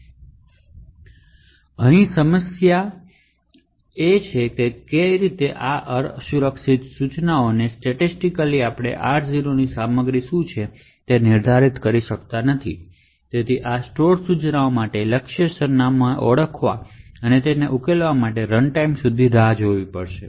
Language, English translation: Gujarati, Now the problem here and why it is unsafe is that statically we may not be able to determine what the contents of R0 is and therefore we need to wait till runtime to identify or resolve the target address for this store instructions therefore this forms an unsafe instructions